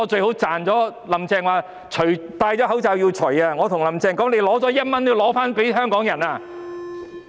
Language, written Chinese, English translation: Cantonese, "林鄭"說口罩戴上了也要摘下來，但我想對"林鄭"說：你拿了1元也要還給香港人。, Carrie LAM said anyone who worn a face mask had to take if off; but I want to tell Carrie LAM even if you have just taken a dollar you have to return it to the people of Hong Kong